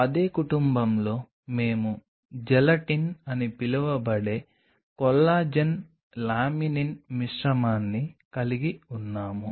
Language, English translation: Telugu, Then in the same family we have a mix kind of stuff of collagen laminin called Gelatin